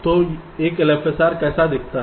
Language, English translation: Hindi, so how does an l f s r look like